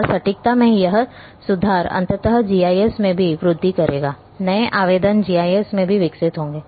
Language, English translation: Hindi, And this improvement in accuracy ultimately will also peculate into GIS; new applications also will develop in GIS